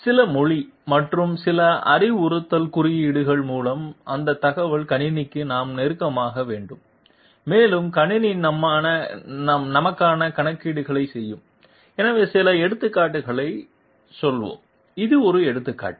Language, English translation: Tamil, We have to intimate that information to the computer through you know some language and some instructional codes and the computer will be doing the calculations for us, so let us go into some examples, this is one example